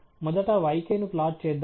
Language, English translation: Telugu, Let’s plot the yk first